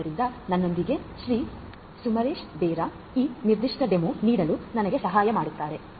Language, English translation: Kannada, Samaresh Bera along with me will help me in giving this particular demo